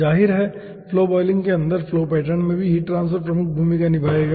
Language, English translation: Hindi, obviously, heat transfer will be taking major role in the flow pattern inside flow boiling also